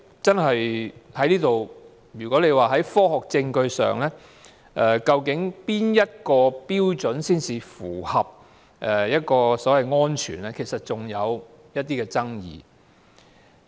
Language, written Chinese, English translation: Cantonese, 至於從科學證據確定哪個標準才符合安全，其實仍然有一些爭議。, As for which standard is safe according to scientific evidence it is still under dispute